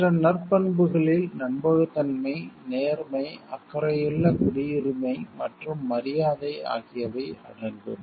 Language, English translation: Tamil, Other virtues may include trustworthiness, fairness, caring citizenship and respect